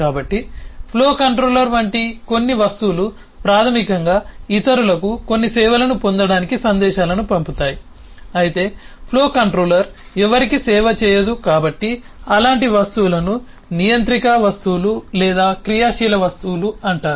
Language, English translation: Telugu, so some objects, like the flow controller, basically sends out messages to others to get some service, whereas it by itself, the flow controller, does not serve anyone